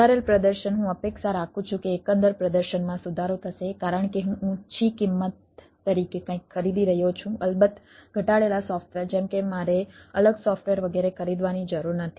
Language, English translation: Gujarati, i expect that the overall performance will be improved because i am purchasing something as a higher price, reduced software, of course, like i dont have to purchase separate software, etcetera